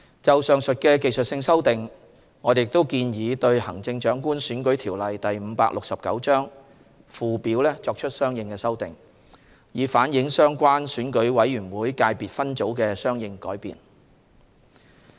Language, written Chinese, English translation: Cantonese, 就上述技術性修訂，我們亦建議對《行政長官選舉條例》附表作出相應修訂，以反映相關選舉委員會界別分組的相應改變。, In the light of the aforementioned technical changes we also propose that consequential amendments be made to the Schedule to the Chief Executive Election Ordinance Cap . 569 to reflect the corresponding changes to the electorate of the relevant Election Committee EC subsector